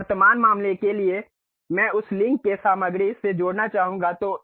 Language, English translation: Hindi, Now, for the present case I would like to add material away from that link